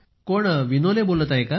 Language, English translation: Marathi, Is that Vinole speaking